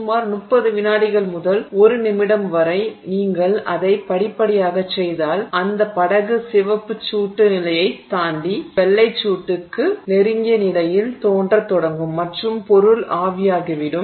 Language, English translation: Tamil, If you do it gradually in about 30 seconds to a minute you will have that boat you know getting close to white hot past the red hot condition it will start looking close to white hot and the material will evaporate